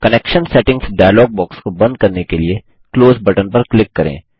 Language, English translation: Hindi, Click on the Close button to close the Connection Settings dialog box